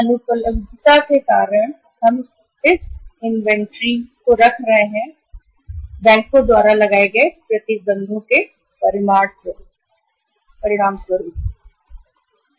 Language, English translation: Hindi, We are keeping now inventory because of the non availability of the funds as the result of the restrictions imposed by the banks